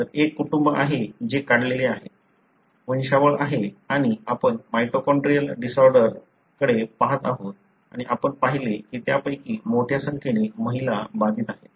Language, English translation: Marathi, So, there is a family that is drawn, pedigree and we are looking at a mitochondrial disorder and you see that a large number of them are females, affected